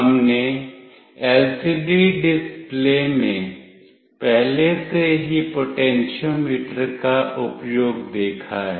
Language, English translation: Hindi, We have already seen the use of potentiometer in LCD display